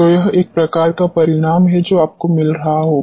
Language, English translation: Hindi, So, this is a type of result which you will be getting